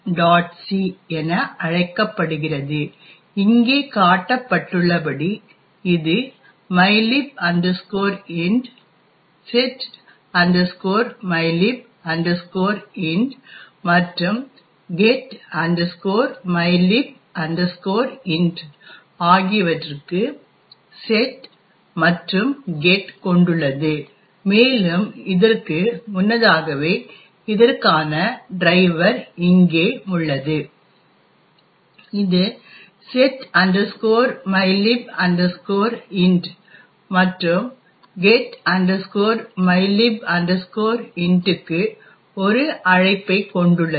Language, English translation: Tamil, c and which is as shown over here it has mylib int, setmylib int and getmylib int to set and get functions and the driver for this as before is here which has an invocation to setmylib int and getmylib int